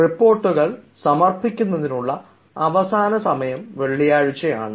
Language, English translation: Malayalam, the official timing is friday for submission of reports